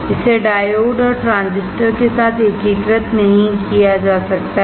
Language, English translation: Hindi, It cannot be integrated with diodes and transistors